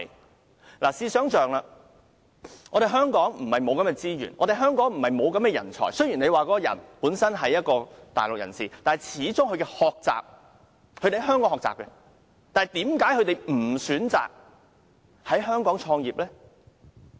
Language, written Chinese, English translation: Cantonese, 大家試想象，香港並非缺乏資源和人才，雖然他是大陸人士，但他始終也是在香港學習，為何他不選擇在香港創業？, Members can think about this . Hong Kong does not lack any resources or talents . Even though he is a Mainlander he received education in Hong Kong after all